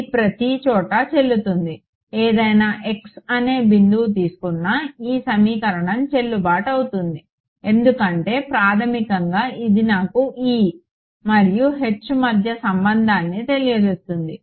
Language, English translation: Telugu, It is valid everywhere take any point x this equation should be valid because basically it is giving me the relation between E and H right